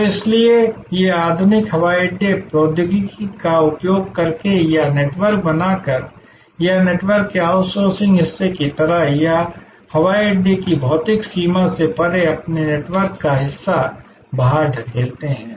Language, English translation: Hindi, So, that is why, these modern airports by use of technology or creating networks or sort of outsourcing part of the network or pushing out part of their network beyond the physical boundary of the airport